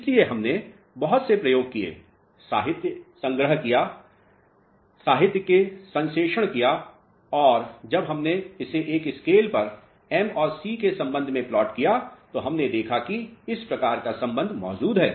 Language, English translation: Hindi, So, we did lot of experiments and lot of literature collection and synthesis of the literature and when we plotted it on a scale with respect to m and c what we observed is that this type of relationship exists